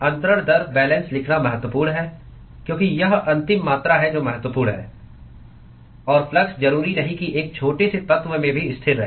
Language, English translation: Hindi, It is important to write transfer rate balance because that is the final quantity that is of importance and the flux need not necessarily remain constant even in a small element